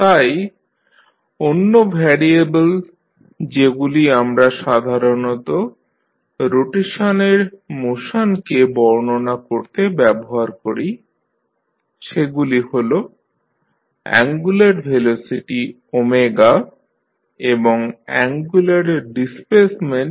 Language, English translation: Bengali, So, other variables which we generally use to describe the motion of rotation are angular velocity omega and angular displacement theta